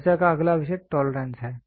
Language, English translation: Hindi, The next topic of discussion is tolerance